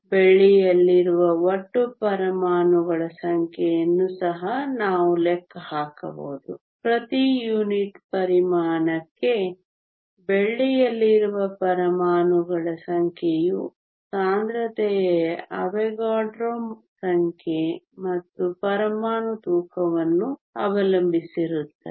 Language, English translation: Kannada, We can also calculate the total number of atoms that are there in silver number of atoms in silver per unit volume depends upon the density AvogadroÕs number and the atomic weight